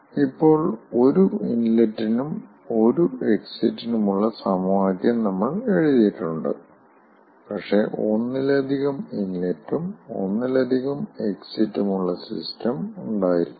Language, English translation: Malayalam, now we have written the equation for single inlet and single exit, but there could be system with multiple inlet and multiple exit in wasted recovery